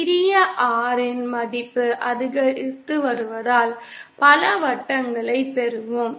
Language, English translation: Tamil, As the value of small R goes on increasing, we will get a number of circles